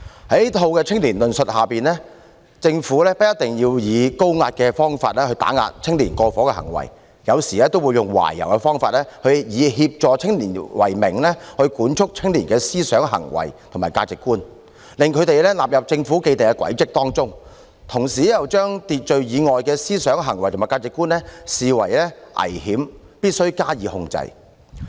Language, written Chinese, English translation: Cantonese, 在這套青年論述下，政府不一定要以高壓的方法打壓青年過火的行為，有時也會用懷柔的方法，以協助青年為名，管束青年人的思想、行為和價值觀，把他們納入政府的既定軌跡之中，同時又將秩序以外的思想、行為和價值觀視為危險，必須加以控制。, Under such an analysis of young people the Government did not always have to use high - pressure tactics to suppress the over - the - board behaviour of young people sometimes it also adopted a conciliatory approach to control young peoples thinking behaviour and values in the name of assisting them so as to bring them into the ruts of the Government . At the same time the thinking behaviour and values foreign to the established order were regarded as dangerous and must be controlled